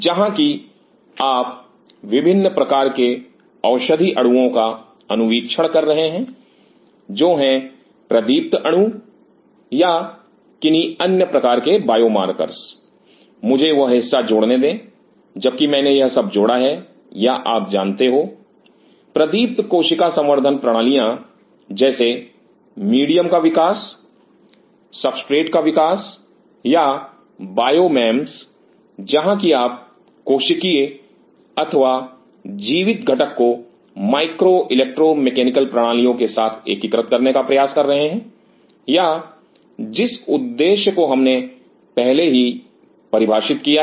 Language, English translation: Hindi, Where you are screening different kind of drug molecules are fluorescent molecule or some kind of biomarkers, let me add that part while I have added all this or you know the biomarkers cell culture systems like medium development, substrate development or the bio memes where you have attempting to integrate the cellular or the living component with micro electromechanical systems and based on that the next part we went to figure out the objectives or the purpose what we have already defined